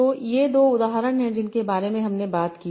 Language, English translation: Hindi, So, here are two examples that we talked about